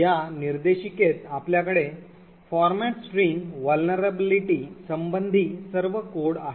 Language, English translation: Marathi, In this directory you have all the codes regarding the format string vulnerability